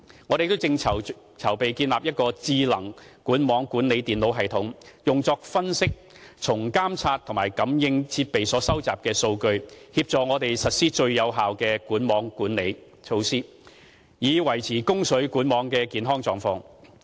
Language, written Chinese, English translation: Cantonese, 我們亦正籌備建立一個智能管網管理電腦系統，用作分析從監測和感應設備所收集的數據，協助我們實施最有效的管網管理措施，以維持供水管網的健康狀況。, We are also working to provide an intelligent network management computer system to analyse the data collected from the monitoring and sensing equipment to help us implement the most effective network management measures so as to maintain the healthy condition of our water distribution network